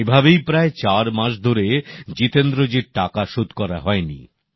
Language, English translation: Bengali, This continued for four months wherein Jitendra ji was not paid his dues